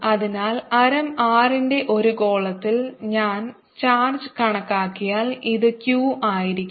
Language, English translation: Malayalam, so if i calculate the charge in a sphere of radius r, this is going to be q, let's call it q